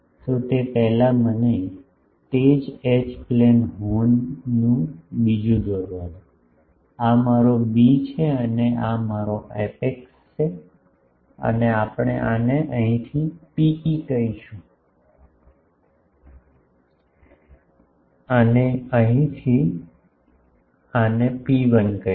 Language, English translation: Gujarati, So, AB will be before that also let me have a another drawing of the same H plane horn, this is my b dash and this is my apex and we will call this where in rho e and this one from here to here rho 1 ok